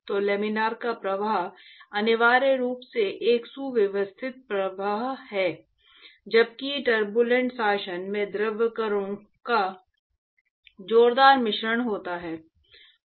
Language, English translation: Hindi, So, laminar flow is essentially a streamline flow while there is vigorous mixing, vigorous mixing of fluid particles in the turbulent regime